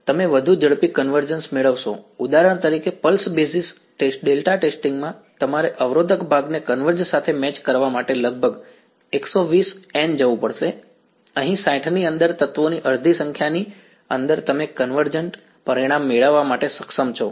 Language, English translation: Gujarati, You will get even faster convergence for example, in the pulse basis delta testing you have to go nearly 120 N in order to get the resistive part to match to converge, here within half the number of elements within 60 you are able to get convergent result may be even less than that right